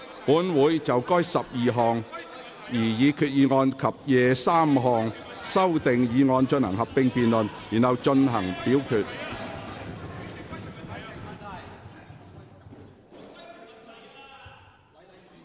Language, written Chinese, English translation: Cantonese, 本會會就該12項擬議決議案及23項修訂議案進行合併辯論，然後進行表決。, This Council will proceed to a joint debate on the 12 proposed resolutions and 23 amending motions and then the voting